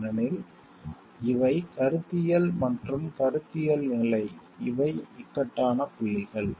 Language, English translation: Tamil, Because these are conceptual and the conceptual level these are points of dilemma questions